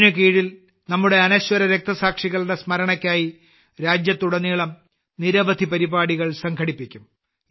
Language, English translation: Malayalam, Under this, many programs will be organized across the country in the memory of our immortal martyrs